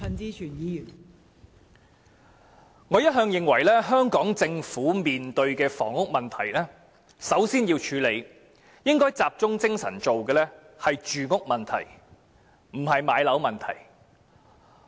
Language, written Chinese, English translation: Cantonese, 代理主席，我一向認為香港政府面對房屋問題時，首先應該集中精神處理的是住屋問題，而不是置業問題。, Deputy President I have all along hold the view that in addressing the housing problem the Hong Kong Government should first focus on resolving the issue of accommodation rather than home ownership